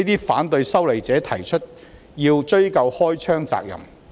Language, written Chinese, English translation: Cantonese, 反對修例者提出要"追究開槍責任"。, Opponents of the legislative amendment demanded to ascertain responsibility for shooting